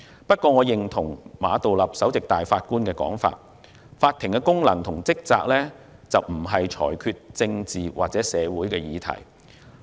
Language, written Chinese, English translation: Cantonese, 不過，我認同首席法官馬道立的說法，法庭的功能及職責不是裁決政治或社會議題。, However I agree with Chief Justice Geoffrey MA that the functions and duties of the courts are not to make decisions on political or social issues